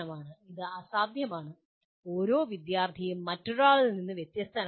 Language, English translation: Malayalam, It is impossible and each student is different from the other